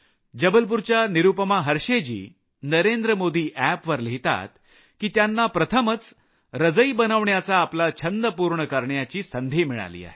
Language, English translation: Marathi, Nirupama Harsheya from Jabalpur writes on the Namo app, that she finally got an opportunity to fulfil her wish to make a quilt